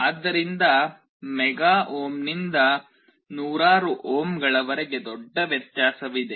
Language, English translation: Kannada, So, from mega ohm to hundreds of ohms is a huge difference